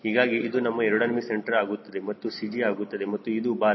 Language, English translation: Kannada, so this is your ac, this is your cg and this is your tail